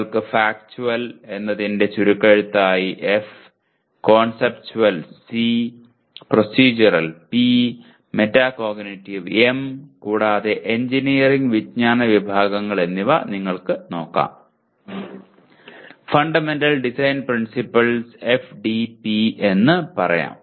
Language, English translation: Malayalam, We can use the acronyms F for Factual, C for Conceptual, P for Procedural, M for Metacognitive and correspondingly a engineering knowledge categories if you want to look at the Fundamental Design Principles the FDP you can say